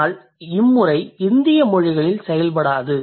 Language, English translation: Tamil, But that doesn't work in Indian way